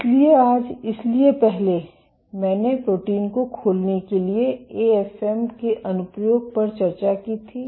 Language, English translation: Hindi, So today, so previously I had discussed the application of AFM for protein unfolding